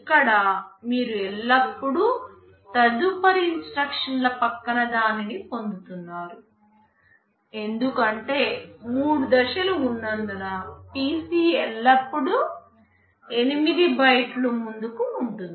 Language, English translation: Telugu, Here you are always fetching the next to next instruction because there are three stages that is why the PC is always 8 bytes ahead